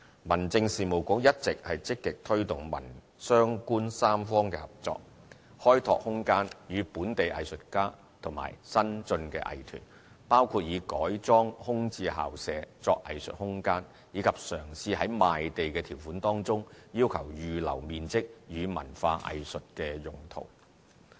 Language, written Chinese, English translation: Cantonese, 民政事務局一直積極推動民、商、官三方合作，開拓空間予本地藝術家和新進藝團，包括以改裝空置校舍作藝術空間，以及嘗試於賣地條款中要求預留面積予文化藝術用途。, The Home Affairs Bureau has all along been actively promoting the tripartite cooperation among the community the business sector and the Government so as to create room for local artists and budding arts groups including the conversion of vacant school premises into arts space and attempts to stipulate in the conditions of land sale the demand to set aside certain floor areas for cultural and arts use